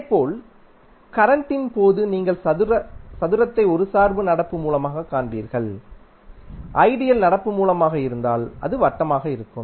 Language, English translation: Tamil, Similarly, in case of current you will see square as a dependent current source and in case of ideal current source it will be circle